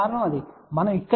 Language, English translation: Telugu, We are getting from here to here minus 9